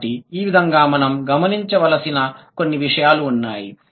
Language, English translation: Telugu, So, this is how, so there are a couple of things we need to notice